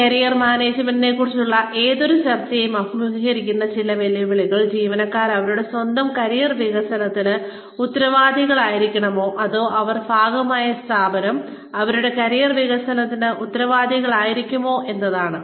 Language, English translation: Malayalam, Some of the challenges, that any discussion on Career Management faces is, should employees be responsible, for their own career development, or should the organization, that they are a part of, be responsible for their career development